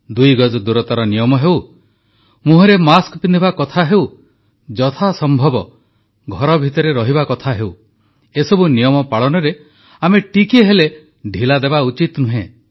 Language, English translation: Odia, Whether it's the mandatory two yards distancing, wearing face masks or staying at home to the best extent possible, there should be no laxity on our part in complete adherence